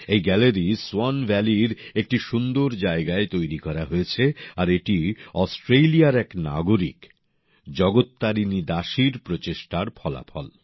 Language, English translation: Bengali, This gallery has been set up in the beautiful region of Swan Valley and it is the result of the efforts of a resident of Australia Jagat Tarini Dasi ji